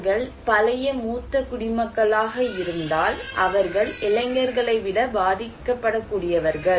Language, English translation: Tamil, If they are old senior citizen, they are more vulnerable than young people